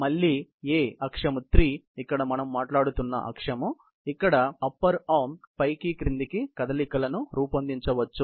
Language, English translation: Telugu, Again, axis 3 about A, where this is the axis that we are talking about, where the up and down movements of the upper arm can be formulated